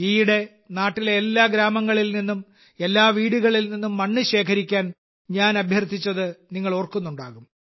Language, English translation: Malayalam, You might remember that recently I had urged you to collect soil from every village, every house in the country